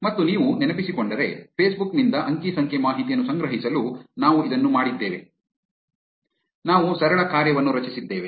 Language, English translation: Kannada, And if you remember, this is what we did to collect data from Facebook, we created a simple function